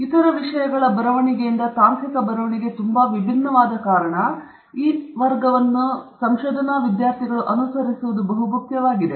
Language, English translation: Kannada, It’s also important to go through this class because technical writing is very different from other forms of writing